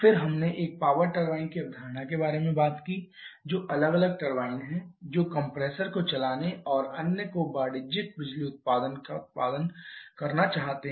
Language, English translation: Hindi, Then we talked about the concept of a power turbine that is having 2 separate turbine want to drive the compressor and other to produce the commercial output power output